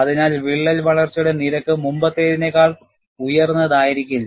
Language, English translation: Malayalam, So, the rate of crack growth will not be as high as it was before